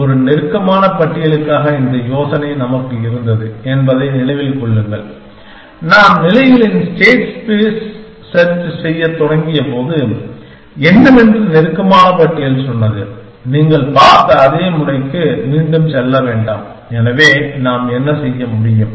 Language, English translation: Tamil, So, remember we had this idea for a close list, when we started doing the states space search and what close list said that, do not go back to the same node again that you have seen, so what we could do